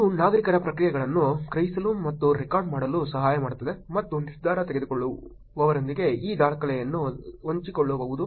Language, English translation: Kannada, It can also help sense and the record the reactions of citizens and share these records with decision makers